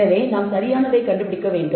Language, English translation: Tamil, So, we need to find out right